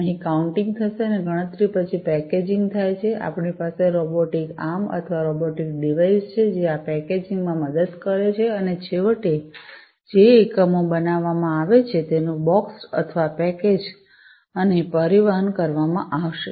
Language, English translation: Gujarati, So, counting will take place here and then after counting, the packaging it takes place here and as you can see over here, we have a robotic arm or robotic device, which is helping in this packaging and finally, the units that are manufactured are going to be boxed or packaged and transported